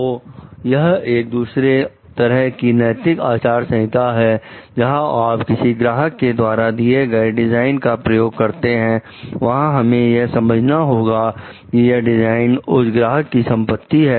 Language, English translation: Hindi, So, this is another of the ethical codes, where the if you are using a design which is given by a particular client, we have to understand that the design remains the property of the client